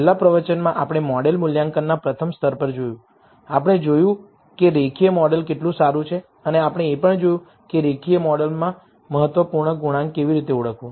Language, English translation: Gujarati, In the last lecture, we looked at the first level of model assessment, we saw how good is a linear model that we built and we also saw, how to identify the significant coefficients in the linear model